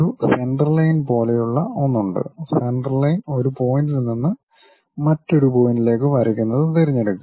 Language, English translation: Malayalam, There is something like a Centerline, pick that Centerline draw from one point to other point